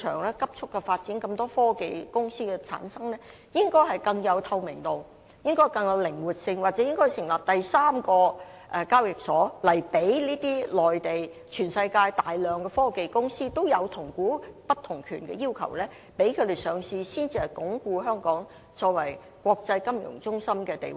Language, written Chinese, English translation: Cantonese, 面對市場急速的發展，有那麼多科技公司出現，我們的運作應更具透明度和靈活性，又或應要成立第三個交易所，讓這些大量來自內地或世界其他地方，同樣有同股不同權要求的科技公司上市，才能鞏固香港的國際金融中心地位。, Facing the rapid development of the market and the emergence of so many technology companies our operation should become more transparent and flexible . In order to strengthen Hong Kongs status as an international financial centre we might need to set up a third exchange to accommodate the large number of technology companies from the Mainland or other parts of the world which seek to go public with a weighted voting right structure